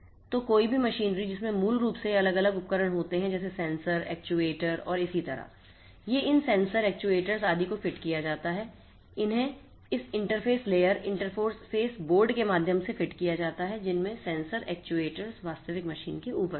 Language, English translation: Hindi, So, any machinery basically which has these different devices such as sensors, actuators and so on, these are fitted these sensors, actuators etcetera these are fitted through this interface layer, interface board having these sensors, actuators on top of these actual physical machines